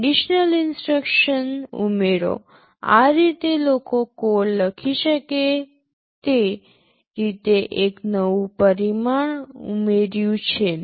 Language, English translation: Gujarati, The addition of conditional execution instructions, this has added a new dimension to the way people can write codes